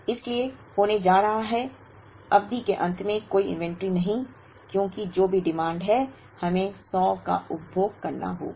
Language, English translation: Hindi, Therefore, there is going to be no inventory at the end of the period because whatever is the demand, we have to consume the 100